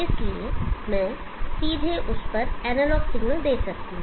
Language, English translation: Hindi, Therefore I can directly give analog signal to that